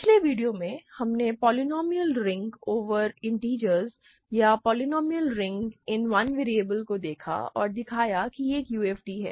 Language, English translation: Hindi, In the last video, we looked at polynomial rings over the integers, or polynomial rings in one variable and showed that it is a UFD